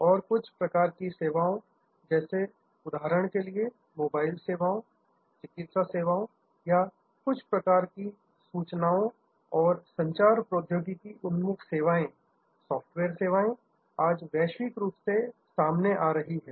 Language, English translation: Hindi, And certain types of services like for example, say mobile services or medical services or certain types of information and communication technology oriented services, software services, these are today born global